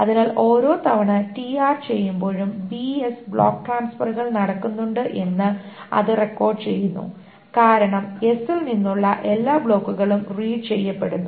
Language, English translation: Malayalam, So that requires every time TR is being done, there are B S block transfers are being done because all the blocks from S are being red